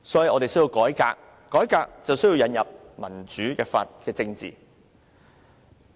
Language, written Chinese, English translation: Cantonese, 我們需要改革，要改革便需要引入民主政治。, We need changes and reform . To reform we need democratic politics